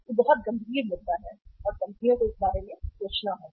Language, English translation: Hindi, It is a very serious issue and companies have to think about